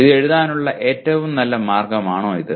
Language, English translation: Malayalam, Is this the best way to write this